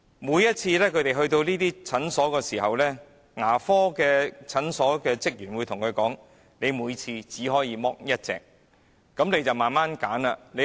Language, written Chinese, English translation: Cantonese, 每次他們來到這些牙科診所時，職員會對他們說："你每次只可以脫1枚牙齒"。, Each time they go to these dental clinics staff members would say to them Each time you can only have one tooth extracted